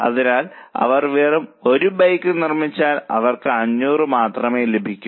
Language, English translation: Malayalam, So if they just make one bike, they will only earn 500